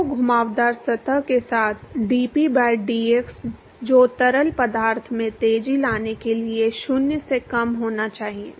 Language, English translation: Hindi, So, dp by dx along the curved surface that has to be less than 0 in order for the fluid to accelerate